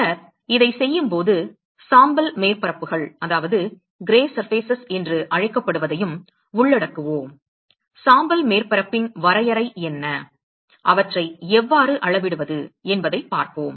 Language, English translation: Tamil, And then while doing this we will also cover what is called the gray surfaces: what is the definition of gray surface and how to quantify them we will look at that